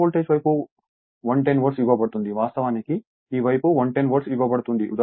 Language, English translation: Telugu, Then, on low voltage side 110 Volt is given this side actually 110 Volt is given